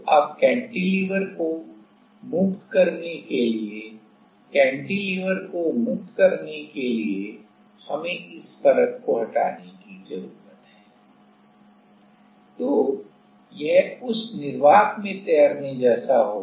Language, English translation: Hindi, Now so, to release the cantilever; to release the cantilever we need to remove this layer, then it will be like floating in that vacuum right